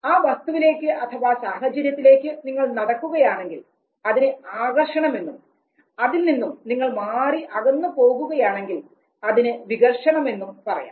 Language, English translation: Malayalam, So if you move towards the object then it is attraction, if you move away from the object it is repulsion